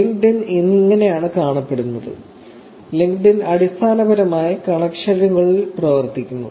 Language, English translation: Malayalam, So, this is how LinkedIn looks, LinkedIn basically works on connections